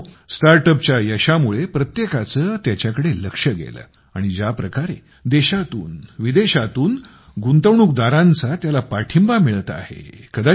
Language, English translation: Marathi, Friends, due to the success of StartUps, everyone has noticed them and the way they are getting support from investors from all over the country and abroad